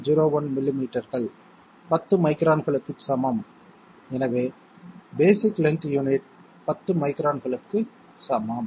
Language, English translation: Tamil, 01 millimetres equal to 10 microns, so basic length unit is equal to 10 microns